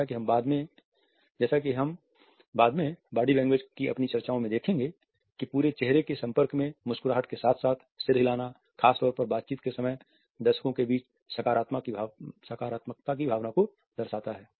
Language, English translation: Hindi, As we would see later on in our discussions of body language, the whole face contact which in corporates the smiles as well as nods depending on the content also incorporates a feeling of positivity among the audience particularly during the interaction sessions